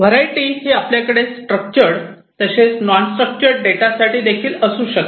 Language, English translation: Marathi, And then variety and this variety could be you can have both structured as well as non structured data